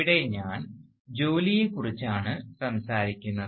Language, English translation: Malayalam, And, here I am talking about work